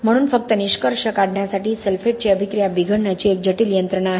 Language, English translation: Marathi, So just to conclude sulphate attack is accompanied by a complicated mechanism of deterioration